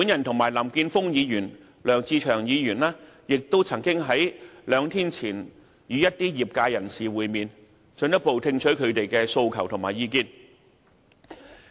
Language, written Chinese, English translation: Cantonese, 我及林健鋒議員和梁志祥議員亦曾在兩天前與一些業界人士會面，進一步聽取他們的訴求和意見。, In fact Mr Jeffrey LAM Mr LEUNG Che - cheung and myself met some members of the industry a couple of days ago to further heed their demands and views